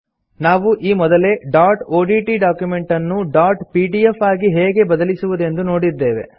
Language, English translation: Kannada, We have already seen how to convert a dot odt document to a dot pdf file